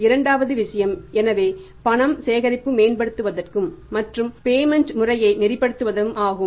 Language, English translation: Tamil, This is the second thing is so to improve this and streamline the cash collection and the payment mechanism